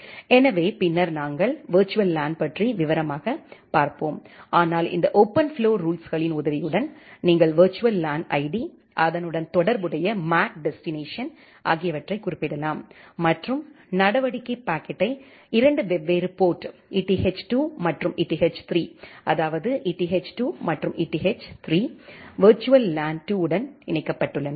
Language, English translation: Tamil, So, later on we will look into the virtual LAN in details, but with the help of these OpenFlow rules, you can specify the virtual LAN ID, the corresponding MAC destination and the action is forwarding the packet to 2 different port eth 2 and eth 3; that means, eth 2 and eth 3 are actually connected to virtual LAN 2